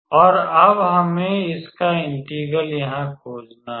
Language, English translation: Hindi, So, we have to calculate the integral